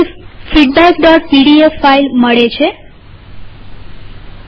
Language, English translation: Gujarati, We get the file feedback.pdf